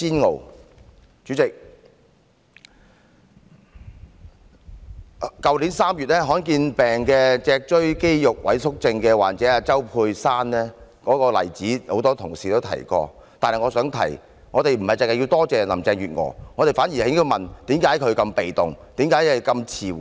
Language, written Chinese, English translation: Cantonese, 代理主席，多位同事都提到去年3月罕見疾病脊髓肌肉萎縮症患者周佩珊向特首陳情的例子，但我想說，我們不應只多謝林鄭月娥，反而應問她為何如此被動，反應如此遲緩。, Deputy President a number of Members have cited the example of Josy CHOW a patient suffering from the rare disease of spinal muscular atrophy who petitioned the Chief Executive in March last year . My point however is that we should not only thank Carrie LAM but also ask her why the Government is so passive and responds so slowly